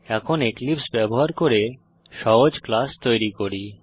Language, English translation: Bengali, Now let us create a simple class using Eclipse